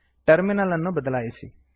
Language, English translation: Kannada, Switch to the terminal